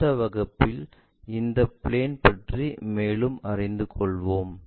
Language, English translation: Tamil, In the next class, we will learn more about these planes